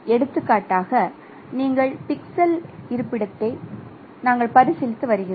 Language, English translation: Tamil, So we are considering for example this pixel location